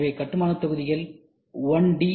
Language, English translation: Tamil, So, the building blocks are 1D